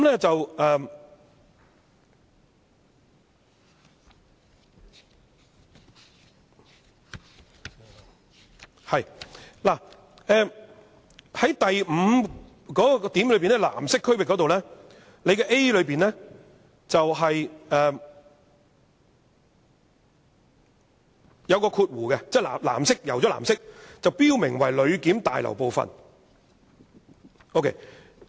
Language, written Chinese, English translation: Cantonese, 就第5條藍色區域，第 5a 條在"塗上藍色"後是有加上括弧以說明"標明為旅檢大樓部分"。, Let us go to the blue zone in section 5 . In section 5a there is an explanatory information of indicated as a part of the Passenger Clearance Building shown in parentheses after the wording shown coloured blue